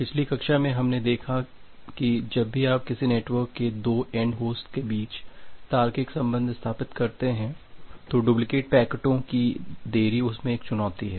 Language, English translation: Hindi, So, in the last class we have seen that well whenever you are setting up a logical connection between 2 end host of a network, the challenge is the delayed duplicate packets